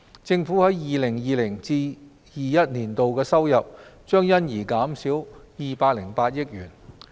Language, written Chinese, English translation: Cantonese, 政府在 2020-2021 年度的收入將因而減少208億元。, The government revenue forgone in 2020 - 2021 will amount to 20.8 billion